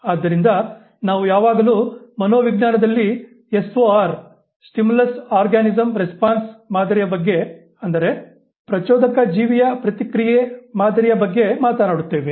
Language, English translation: Kannada, So, we always talk of S O R paradigm in psychology, the stimulus, organism, response paradigm